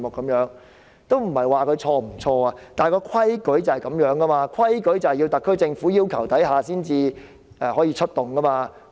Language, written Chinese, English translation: Cantonese, 我並非要指責他們對或錯，但規矩是解放軍須在特區政府要求下才能出動。, I am not trying to reprimand them for doing something wrong or otherwise but the rule is that the Peoples Liberation Army should only be dispatched upon the request of the SAR Government